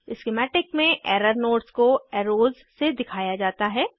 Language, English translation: Hindi, In the schematic, the error nodes are pointed by arrows